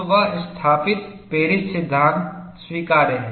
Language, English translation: Hindi, So, that established Paris law is acceptable